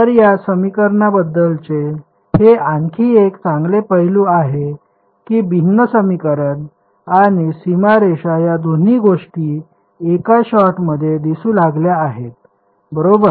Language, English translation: Marathi, So, this that is another sort of nice aspect about this equation that the differential equation and the boundary conditions both have appeared into this in one shot fine